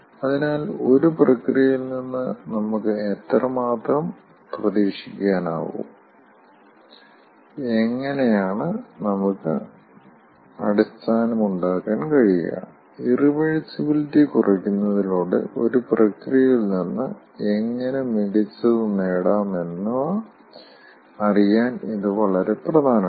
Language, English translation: Malayalam, which is very important for knowing how much we can expect from a process, how we can make the base, how we can ah take best out of a process by reducing the irreversibility